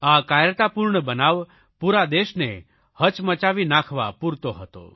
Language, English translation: Gujarati, This cowardly act has shocked the entire Nation